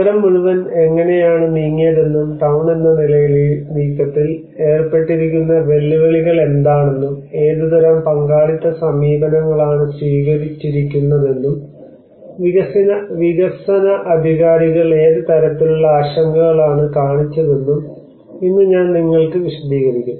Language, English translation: Malayalam, And today I will explain you that how the whole city has been moved and what are the challenges involved in this moving as town, and what kind of participatory approaches has been adopted, what kind of concerns it has the development authorities have shown, and what kind of confusions they have ended up with